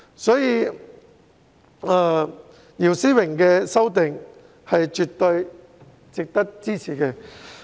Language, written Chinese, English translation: Cantonese, 因此，姚思榮議員的修正案絕對值得支持。, Therefore the amendment proposed by Mr YIU Si - wing is absolutely worthy of support